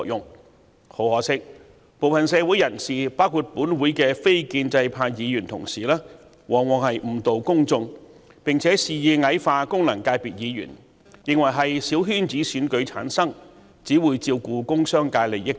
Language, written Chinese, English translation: Cantonese, 但很可惜，部分社會人士包括本會的非建制派議員往往誤導公眾，並且肆意矮化功能界別議員，認為他們由小圈子選舉產生及只會照顧工商界利益等。, But regrettably some in the community including non - establishment Members of this Council tend to mislead the public and malevolently belittle FC Members opining that they returned by small - circle elections will only care for the interests of the industrial and commercial sectors and so on